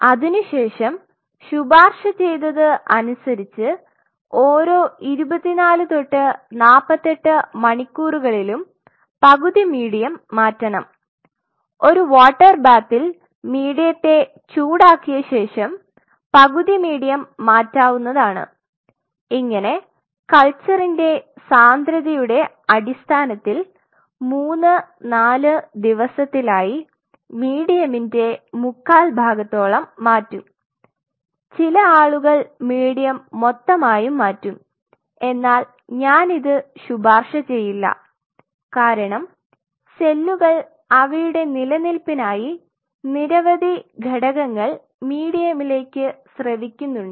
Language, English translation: Malayalam, Generally, it is recommended after 24 to 48 hours it should change half the medium, just have the medium, you warm the medium in a bath and just replace half the medium and followed by that at every fourth depending on what is the density of culture third or fourth day change three forth medium, some people completely change the medium which I not fully recommend for a reason because the cells secrete lot of factors which are helpful for their survival